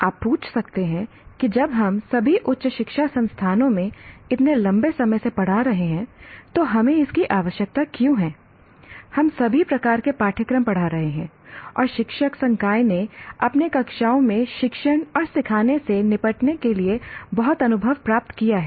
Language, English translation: Hindi, You may ask why do we require when we have been teaching for such a long time in all higher educational institutions, we have been teaching a variety, all types of courses and faculty have acquired a lot of experience in handling teaching and learning in their classrooms